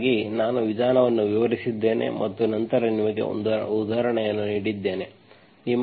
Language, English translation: Kannada, So I described the method and then gave you an example